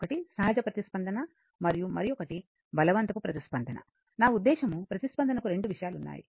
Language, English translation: Telugu, One is natural response and other forced response, I mean the response has two things